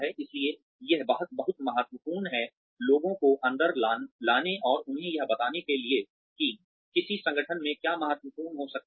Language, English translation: Hindi, So, it is very important, to bring people in, and let them know, what might be important in an organization